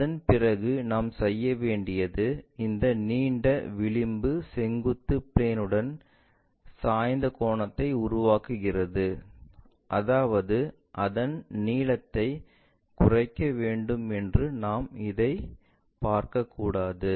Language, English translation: Tamil, After that what we have to do is this longer edge makes an inclination angle with the vertical plane, that means, we should not see it in this way it has to decrease its length